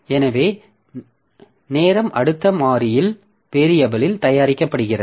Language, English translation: Tamil, So, the item is produced in next variable